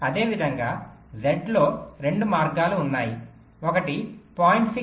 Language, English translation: Telugu, similarly, in z there are two paths